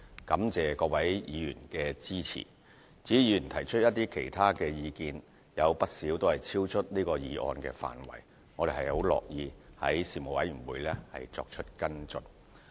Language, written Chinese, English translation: Cantonese, 感謝各位議員的支持，至於議員提出的其他意見，有不少超出了這議案的範圍，我們很樂意於事務委員會作出跟進。, I am grateful for Honourable Members support . As for the other comments put forth by Members many of them are outside the scope of this motion and we are willing to follow up on them in the panels concerned